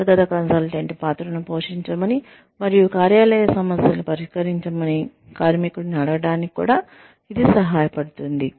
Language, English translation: Telugu, It also helps, to ask the worker, to take on the role, of an internal consultant, and tackle workplace problems